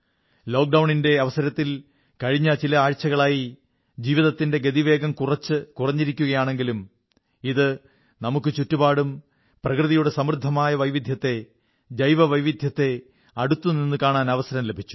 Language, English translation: Malayalam, During Lockdown in the last few weeks the pace of life may have slowed down a bit but it has also given us an opportunity to introspect upon the rich diversity of nature or biodiversity around us